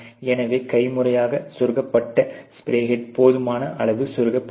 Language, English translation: Tamil, So, the case of manually inserted spray head not inserted far enough